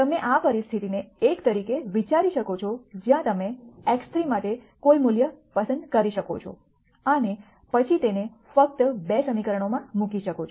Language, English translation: Gujarati, You can think of this situation as one where you could choose any value for x 3 and then simply put it into the 2 equations